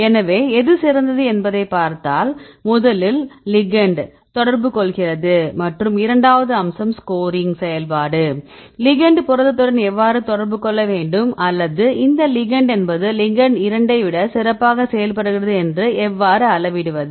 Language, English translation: Tamil, So that the ligand can interact and the second aspect the scoring function, when your ligand interacts with the protein how to define or how to quantify this ligand one interacts better than ligand 2